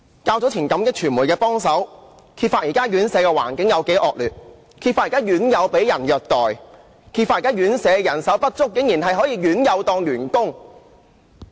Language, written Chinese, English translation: Cantonese, 較早前，感激傳媒的幫忙，揭發現時院舍的環境多麼惡劣、院友被虐待、因人手不足而讓院友當員工。, I am thankful for medias assistance earlier which exposed how terrible the environment in care homes was and how residents were abused and made to act as staff due to manpower shortage